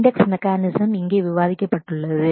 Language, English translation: Tamil, The index mechanisms are discussed here